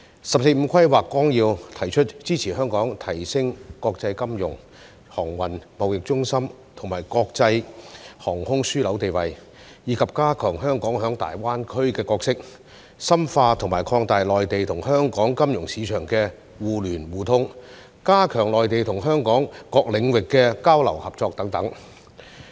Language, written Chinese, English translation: Cantonese, 《十四五規劃綱要》提出支持香港提升國際金融、航運、貿易中心和國際航空樞紐地位，以及加強香港在粵港澳大灣區的角色，深化和擴大內地與香港金融市場的互聯互通，加強內地與香港各領域的交流和合作等。, The Outline of the 14th Five - Year Plan proposes to support Hong Kong in enhancing its status as an international financial transportation and trading centre as well as an international aviation hub strengthen Hong Kongs role in the Guangdong - Hong Kong - Macao Greater Bay Area GBA deepen and expand the interconnection and interoperability between the financial markets of the Mainland and Hong Kong and enhance exchanges and cooperation between the Mainland and Hong Kong in various fields